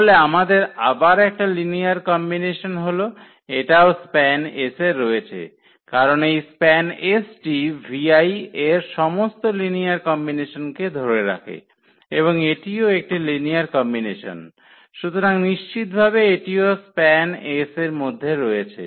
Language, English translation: Bengali, So, we have again this as a linear combination so, this will also belong to span S because this span S contains all linear combination of the v i’s and this is a linear combination so, definitely this will also belong to the span S